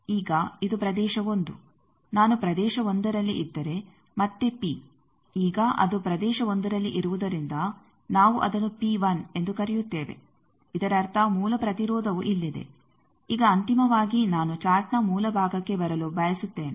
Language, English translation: Kannada, So, based on that these four regions Now, this is the thing that region 1 if i am in region 1 again P now we are calling since it is region 1 P 1; that means, the original impedance is here now finally, I want to come to the centre of the chart